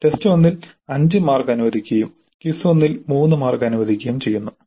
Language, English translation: Malayalam, In test one five marks are allocated and in quiz 1 3 marks are allocated